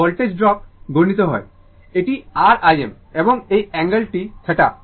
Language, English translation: Bengali, So, voltage drop is multiplied this is R I m, and this angle is theta right